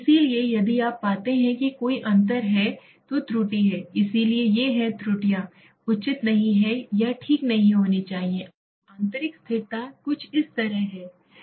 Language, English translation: Hindi, So if you find any difference is there then there is the error, so these errors are not advisable or should not be there okay, internal consistency is something like